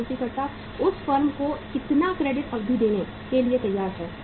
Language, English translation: Hindi, How much credit period the supplier is ready to give to the firm that part